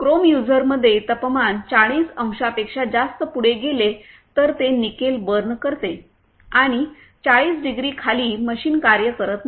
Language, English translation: Marathi, In chrome utilizer, if temperature goes beyond 40 degrees then it burns nickel and below 40 degree machine doesn't work